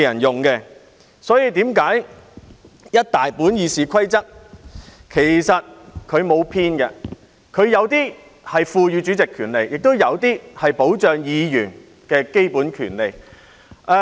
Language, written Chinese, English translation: Cantonese, 因此，整套《議事規則》其實沒有偏頗，有些條文賦予主席權利，亦有些條文保障議員的基本權利。, Therefore the entire set of the Rules of Procedure RoP are not biased . It contains some provisions empowering the President and some other provisions protecting the basic rights of the Members